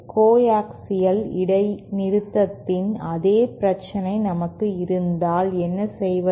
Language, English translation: Tamil, What if we have the same problem as that of the coaxial discontinuity